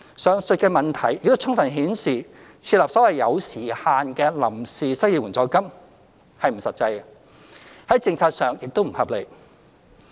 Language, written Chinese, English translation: Cantonese, 上述的問題亦充分顯示，設立所謂有時限的臨時失業援助金不切實際，在政策上完全不合理。, This fully shows that it is neither practicable nor policy - wise justifiable to set up a so - called time - limited temporary unemployment assistance